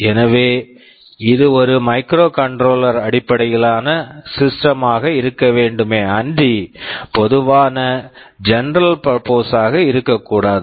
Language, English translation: Tamil, So, it should be a microcontroller based system and not general purpose